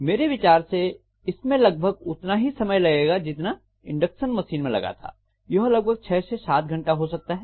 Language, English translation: Hindi, In my opinion this should not take as long as what it has taken for induction machine, so it may be anywhere between 6 to 7 hours